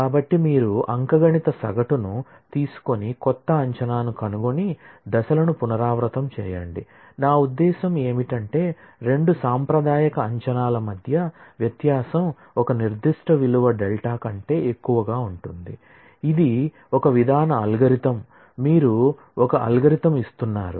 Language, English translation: Telugu, So, you take an arithmetic mean and find the new estimate and repeat the steps, I mean as long as the difference between the two conservative estimates is more than a certain value delta, this is a procedural algorithm, you are giving an algorithm